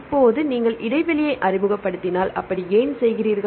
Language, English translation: Tamil, Now, if you introduce gap why do you introduce gaps